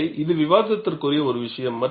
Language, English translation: Tamil, So, this is a debatable point